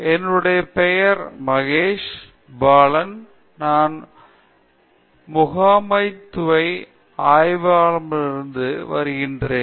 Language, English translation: Tamil, So, my name is Mahesh Balan, I am from Management Studies Department